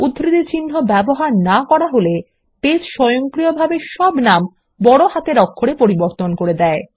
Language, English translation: Bengali, If we dont use the quotes, Base will automatically convert all names into upper cases